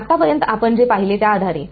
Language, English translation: Marathi, Now, based on what we have seen so far